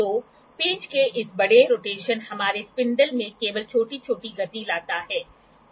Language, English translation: Hindi, So, this large rotation large rotation of screw; only brings small movement in our spindle